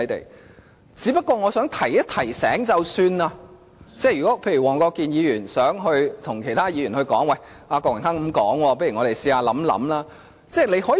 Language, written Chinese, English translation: Cantonese, 我只想提醒一下，如果黃國健議員想對其他議員說："郭榮鏗議員這樣說，我們不如嘗試考慮一下"。, I just would like to give Mr WONG Kwok - kin a pointer if he so desires he can go ahead persuading the other Members Mr Dennis KWOK raised such a point shall we give it a thought?